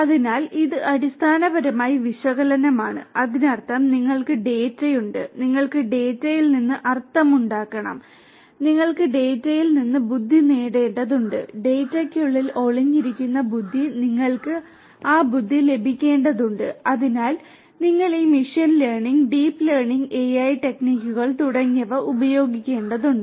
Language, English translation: Malayalam, So, that is basically the analytics; that means, you have the data and you have to make sense out of the data; you have to get intelligence out of the data, the intelligence that is latent inside the data you have to get that intelligence out for that you need to use all these machine learning, deep learning AI techniques and so on